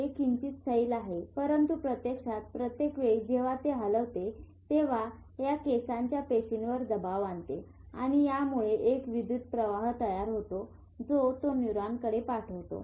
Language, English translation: Marathi, But actually every time it moves, it puts pressure on this hair cells and this generates electric current sends it to the neuron